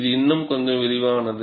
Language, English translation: Tamil, This is a little more elaborate